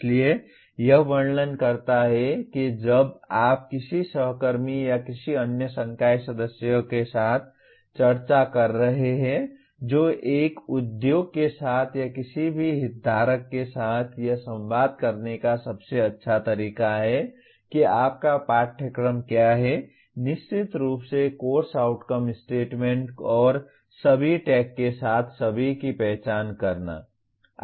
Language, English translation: Hindi, So this describes when you are discussing with a colleague or another faculty member who is, or with an industry or with any stakeholder this is the best way to communicate to what your course is, through course outcome statements and also identifying all the with all the tags